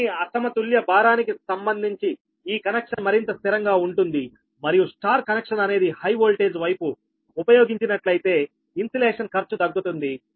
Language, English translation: Telugu, but this connection is more stable with respect to the unbalanced load and if the y connection is used on the high voltage side, insulation cost are reduced